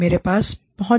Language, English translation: Hindi, I have the access